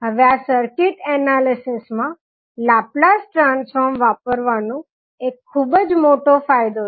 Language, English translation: Gujarati, Now this is the one of the biggest advantage of using Laplace transform in circuit analysis